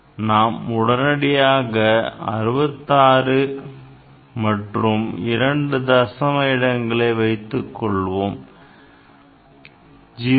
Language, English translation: Tamil, So, immediately what you will write 66 and you will keep two digit 0